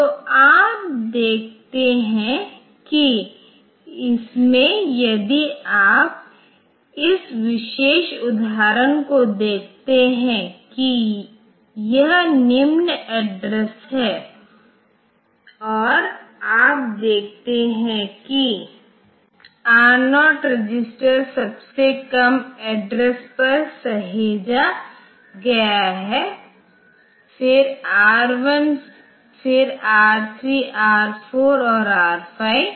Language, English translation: Hindi, So, you see that the in this if you look into this particular example then this the this is the lower address and you see the R0 register has been saved at the lowest address, then the R1 then R3 R 4 and R